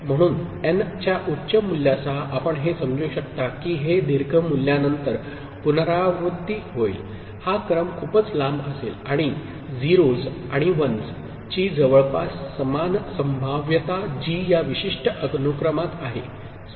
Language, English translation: Marathi, So, with a higher value of n you can understand that these will get repeated after a long value, this sequence will be very long, and almost equal probability of 0s and 1s that is present in this particular sequence, clear